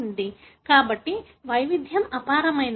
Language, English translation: Telugu, So, the diversity is enormous